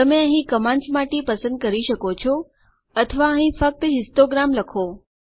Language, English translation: Gujarati, You can select from the commands here or you can just type histogram